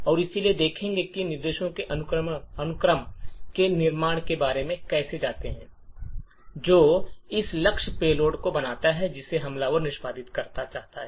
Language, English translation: Hindi, So, let us look at how we go about building a sequence of instructions that creates this particular target payload that the attacker would want to execute